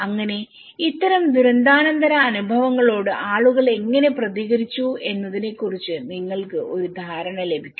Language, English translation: Malayalam, So, you will get an idea of how people have responded to these kind of post disaster experiences